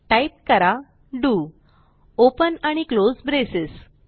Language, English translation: Marathi, Then Type do Open and close braces